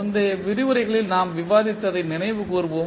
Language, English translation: Tamil, Let us recollect what we discussed in previous lectures